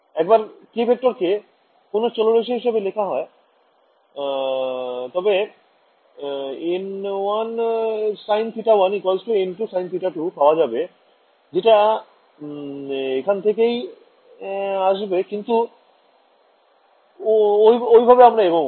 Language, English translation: Bengali, Once you write your these k vectors in terms of angles you will get your n 1 sin theta equal to n 2 sin theta all of that comes from here, but we are not going that route